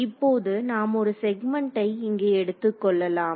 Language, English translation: Tamil, Now, let us take one segment over here, so, this segment over here